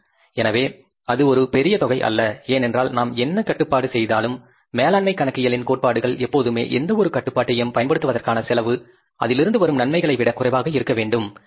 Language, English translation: Tamil, Because whatever the exercise we do, the principles of management accounting always require that cost of exercising any control must be less than the benefits arriving out of it